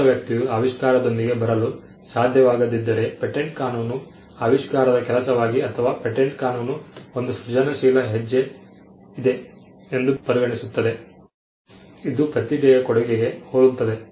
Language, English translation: Kannada, If the skilled person could not have come up with the invention, then patent law regards that as a work of invention or rather the patent law regards that there is an inventive step, which is similar to the contribution of a genius